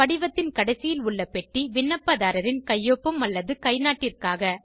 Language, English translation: Tamil, The box at the end of the form, asks for the applicants signature or thumb print